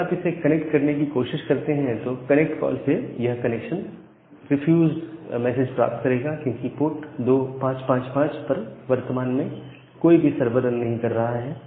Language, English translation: Hindi, So, the server is now running at port 2666, now if you try to connect it, it will get a connection refuse message from the connect call, because none of the server is currently running and the port 2555